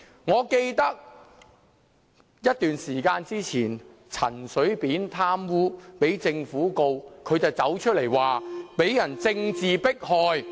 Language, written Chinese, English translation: Cantonese, 我記得前一段時間，陳水扁因貪污被政府控告，也是高呼受到政治迫害。, I remember that earlier on CHEN Shui - bian was prosecuted by the Taiwan Government for corruption but he cried out for justice and claimed that he had been subject to political persecution